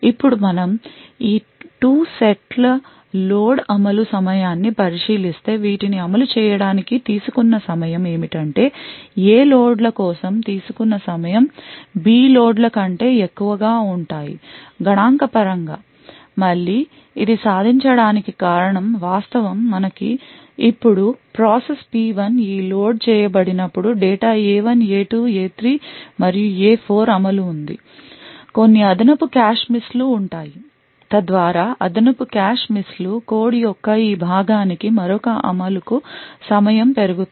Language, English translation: Telugu, Now if we look at the execution time of these 2 sets of loads what we would see is the time taken for executing these A loads would be greater than the time taken for these B loads statistically again the reason be achieved this is due to the fact that we now have process P1 data present away here as a result when these load A1 A2 A3 and A4 get executed there would be some additional cache misses so that additional cache misses would result in increased execution time for this part of the code on the other hand when the loads to B1 B2 B3 or B4 are executed we similarly we as you shall get cache hits and therefore the time taken would be considerably lesser thus to transmit a value of 1 process P1 which is which for example is a top secret process would set the bit value to be equal to 1 which would then evict one particular cache line from the A set and as a result would influence the execution time of process P2 and therefore execution time for this part of the process P2 would be higher compared to the compared to the other part